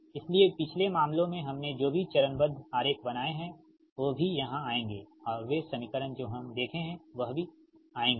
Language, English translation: Hindi, so whatever phasor diagram we have made in the previous cases, here also we will come, and those equations we will come